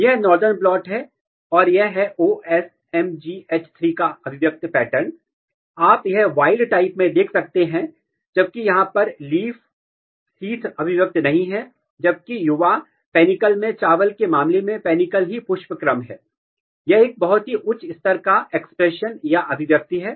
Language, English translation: Hindi, So, this is again if you look, this is northern blot and if you look the expression pattern of OsMGH3, you can see that in wild type, leaf sheath it is not expressed whereas, in the young panicle, panicle is inflorescence in case of rice, it has a very high level of expression